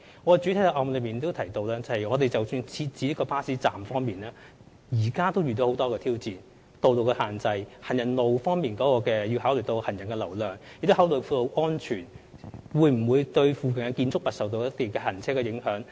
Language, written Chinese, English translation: Cantonese, 我在主體答覆已有提到，即使是設置巴士站，我們現時也面對很多挑戰，包括道路的限制、需要考慮行人路的人流，還有道路安全，以及會否對進出鄰近建築物的車輛造成影響等。, As I have said in the main reply we are faced with many challenges even in the erection of bus stops including the road constraints the need to take pedestrian flow on pavements into consideration road safety and whether vehicular access to nearby buildings will be obstructed